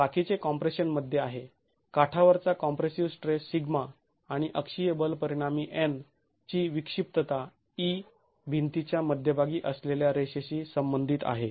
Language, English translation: Marathi, The rest is in compression, edge compressive stress sigma and the eccentricity of the axial force resultant N is e with respect to the centre line of the wall itself